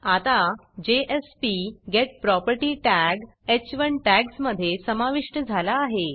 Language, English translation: Marathi, Notice that jsp:getProperty tag is now added between the h1 tags